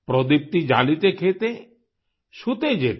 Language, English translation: Hindi, ProdeeptiJaliteKhete, Shutee, Jethe